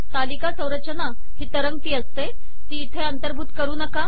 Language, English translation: Marathi, Table environment is a floated one, do not include it here